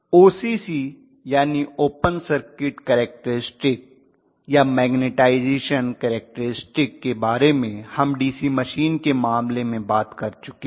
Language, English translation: Hindi, So in OCC that is the open circuit characteristics or magnetization characteristics what we talked about in the case of DC machine